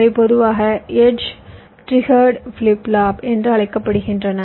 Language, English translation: Tamil, these are typically called edge trigged flip flop